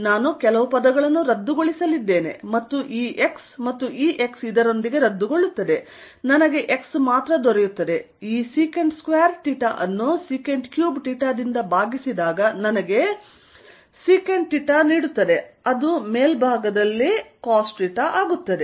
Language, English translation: Kannada, I am going to cancel some terms, this x and this x cancels with this and gives me x only, this secant square theta divided by sec cube theta gives me secant theta which becomes cosine theta on top